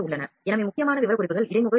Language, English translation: Tamil, So, the important specifications are the interface is USB